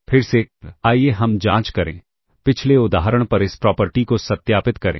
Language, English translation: Hindi, Again let us check verify this property on the previous example